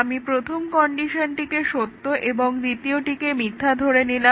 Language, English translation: Bengali, I can set the first condition true, second one false